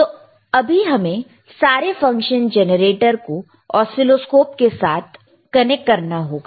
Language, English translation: Hindi, So, we have to connect our function generator to the oscilloscope